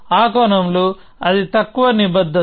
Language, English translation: Telugu, So, in that sense its least commitment